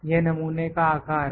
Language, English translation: Hindi, This is this is sample size